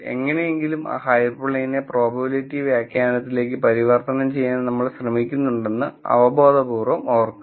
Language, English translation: Malayalam, Remember intuitively somehow we are trying to convert that hyper plane into probability interpretation